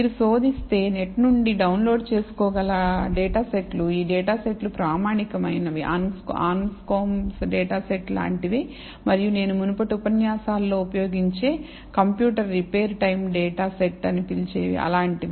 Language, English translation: Telugu, These data sets are standard data sets that you can actually download from the net, if you just search for it, you will get it just like the Anscombe data set, and the and the what you call computer repair time data set that I have been using in the previous lectures